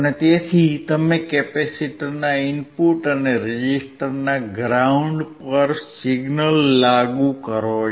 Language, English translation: Gujarati, So, you can apply signal at the input of the capacitor and ground of the resistor